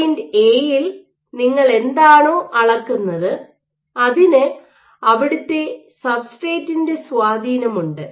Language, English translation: Malayalam, So, at point A, whatever you measure or whatever you estimate has effects of the underlying substrate